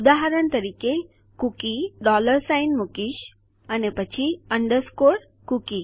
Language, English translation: Gujarati, For example a cookie ,Ill put a dollar sign then underscore cookie